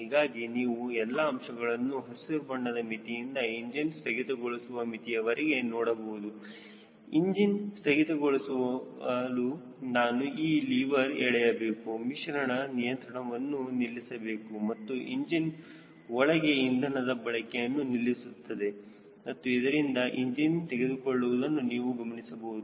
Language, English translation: Kannada, your parameters are in green range to cut off the engine, to switch off the engine, i will pull this lever, the mixture control, out, which will stop the supply of fuel to the engine and it and the engine will eventually shut down